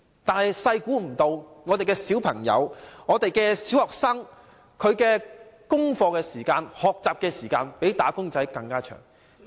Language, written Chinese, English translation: Cantonese, 但是，我們沒料到上小學的小孩花在做功課和學習的時間比"打工仔"的工時還要長。, But unexpectedly the time spent by primary school children on doing homework and learning is even longer than the working hours of wage earners